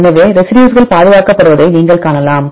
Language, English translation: Tamil, So, you can see the residues are conserved